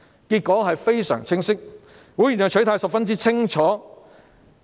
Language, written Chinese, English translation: Cantonese, 結果非常清晰，會員的取態十分清楚。, The result was loud and clear . Members stance was most obvious